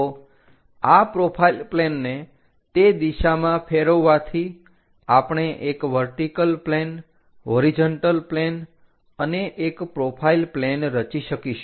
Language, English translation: Gujarati, So, by flipping this profile plane in that direction, we will construct a vertical plane followed by a horizontal plane and a profile plane